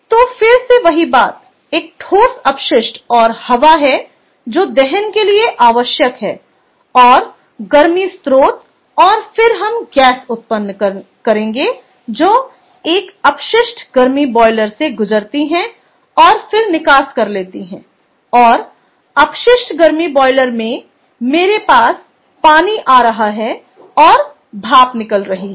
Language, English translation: Hindi, so, again the same thing: a solid waste and i have air which is needed for combustion, plus, of course, the heat source, and then i give rise to gases which pass through a waste heat boiler and then goes to exhaust, and in the waste heat boiler i have water coming in and steam going out, clear